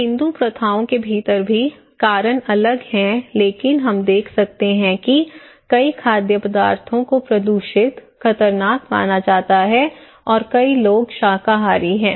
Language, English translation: Hindi, Even within the Hindu practices, the reason could be different but we can see that many foods are considered to be polluted, dangerous and many people are vegetarian